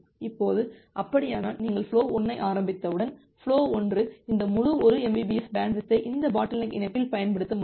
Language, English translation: Tamil, Now, if that is the case, then once you are starting flow 1, then flow 1 will be able to use this entire 1 mbps bandwidth which is there in this bottleneck link